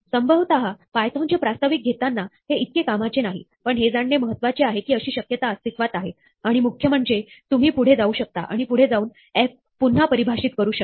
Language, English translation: Marathi, Probably, at an introductory take to python, this is not very useful; but, this is useful to know that such a possibility exists and in particular, you can go on and redefine f as you go ahead